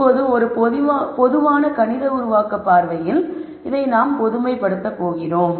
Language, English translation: Tamil, Now, from a general mathematical formulation viewpoint, we are going to generalize this